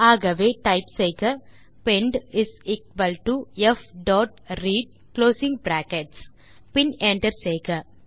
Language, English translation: Tamil, So type pend is equal to f dot read closing brackets and hit Enter